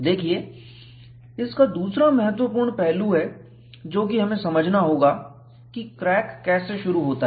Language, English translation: Hindi, See, another important aspect that we have to understand is, how does crack initiates